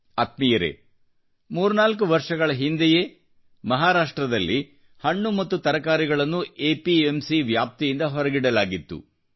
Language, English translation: Kannada, Friends, about three or four years ago fruits and vegetables were excluded from the purview of APMC in Maharashtra